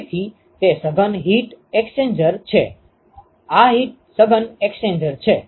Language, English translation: Gujarati, So, that is the compact heat exchanger, this is the compact heat exchanger